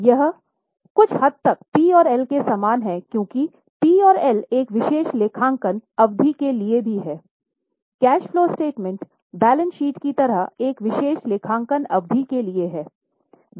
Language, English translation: Hindi, This is somewhat similar to P&L because P&L is also for a particular accounting period, cash flow statement is also for a particular accounting period unlike a balance sheet